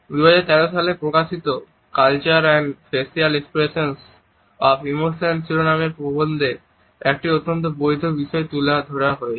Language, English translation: Bengali, In the article entitled Culture and Facial Expressions of Emotion which was published in 2013, a very valid point has been made